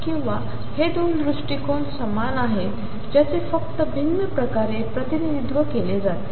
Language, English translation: Marathi, Or are these 2 approaches the same they are just represented in a different way